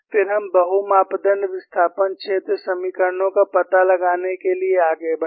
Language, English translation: Hindi, Then, we moved on to finding out multi parameter displacement field equations